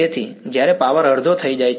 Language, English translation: Gujarati, So, when power becomes half